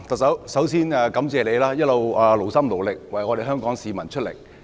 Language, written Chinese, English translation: Cantonese, 特首，首先感謝你一直勞心勞力為香港市民工作。, Chief Executive first of all I thank you for continuously exerting yourself to work for the citizens of Hong Kong